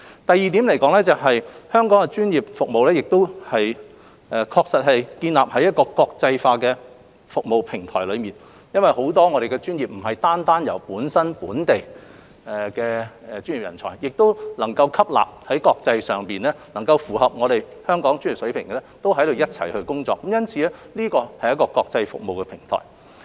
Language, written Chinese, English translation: Cantonese, 第二，香港的專業服務建立於國際化的服務平台上，很多專業不單有本地的專業人才，亦能吸納在國際上符合香港專業水平的人才一同工作，因此，這是國際服務的平台。, Second Hong Kongs professional services are based on an internationalized service platform . It is because many professions have local professional talents they can also attract international talents who meet the professional levels of Hong Kong to work here . For that reason it is an international service platform